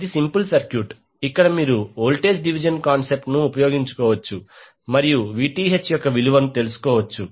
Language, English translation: Telugu, This is simple circuit, where you can utilize the voltage division concept and find out the value of Vth